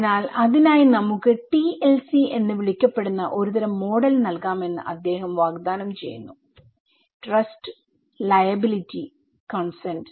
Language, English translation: Malayalam, So, he is offering that for that we can have a kind of model which is called TLC; trust, liability and consent okay